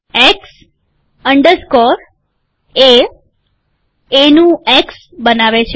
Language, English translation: Gujarati, X underscore A creates X of A